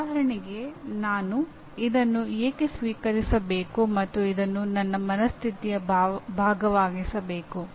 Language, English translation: Kannada, For example why should I accept this and make it part of my, what do you call my mindset